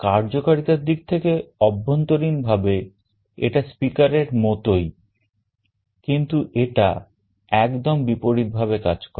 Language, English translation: Bengali, In terms of functionality internally the arrangement is very similar to that of a speaker, but it works in exactly the opposite mode